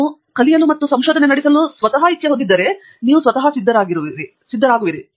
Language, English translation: Kannada, If you have the inclination to learn and carry out research, you are ready